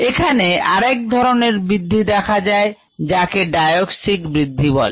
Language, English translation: Bengali, there is another type of growth that is sometimes seen, which is called the diauxic growth